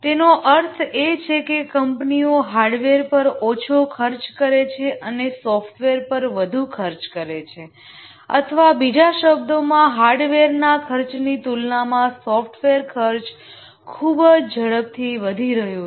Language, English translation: Gujarati, What it means is that companies are spending less on hardware and more on software or in other words, software costs are increasing very rapidly compared to hardware costs